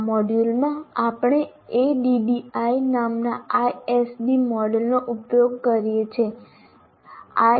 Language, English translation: Gujarati, In this module, we use ISD model called ADDI